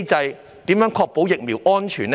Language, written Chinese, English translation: Cantonese, 當局如何確保疫苗的安全？, How do the authorities ensure the safety of vaccines?